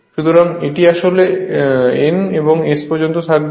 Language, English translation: Bengali, So, this is actually and this is the from N to S